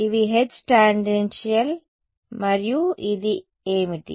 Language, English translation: Telugu, These are H tan and what is this